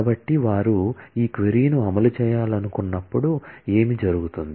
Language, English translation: Telugu, So, what will happen, when they want to execute this query